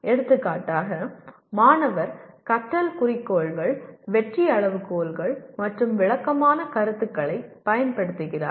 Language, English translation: Tamil, For example the student uses the learning goals, success criteria and descriptive feedback